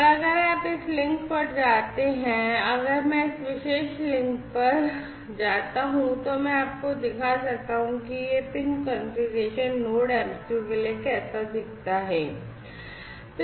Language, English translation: Hindi, And if you go to if I go to this link if I go to this particular link, I can show you how this pin configuration looks like for the Node MCU